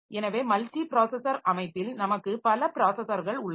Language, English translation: Tamil, So, multiprocessor means we have got multiple processors